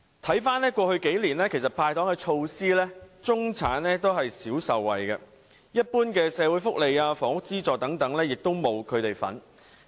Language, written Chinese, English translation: Cantonese, 回顧過去幾年的"派糖"措施，中產少有受惠，一般的社會福利、房屋資助等都沒有他們的份兒。, Over the past few years middle - class people have rarely benefited from the Governments sweeteners and have never received its general giveaways such as social benefits and housing subsidies